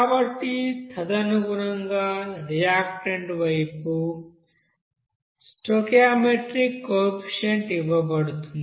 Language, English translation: Telugu, So accordingly what is the stoichiometric component or coefficient for this reactant side here